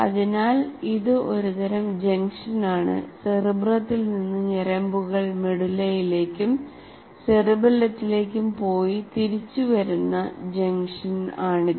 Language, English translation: Malayalam, So it's a kind of bundled or it's like a junction from there, the nerves from cere, from cerebrum come to medallon and cerebellum and vice versa